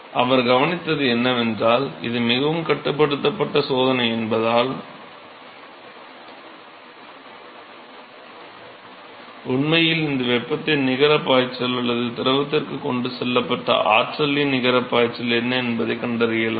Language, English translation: Tamil, So, what he observed is that, because it is a very controlled experiment, you can find out what is the net flux of heat that was actually or net flux of energy that was transported to the fluid